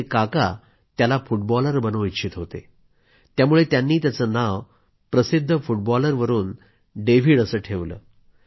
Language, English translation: Marathi, His uncle wanted him to become a footballer, and hence had named him after the famous footballer